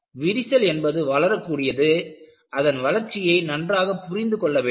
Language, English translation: Tamil, Now, we know a crack is very important, it grows; its growth has to be understood properly